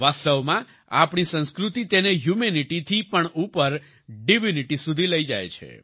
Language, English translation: Gujarati, In fact, our culture takes it above Humanity, to Divinity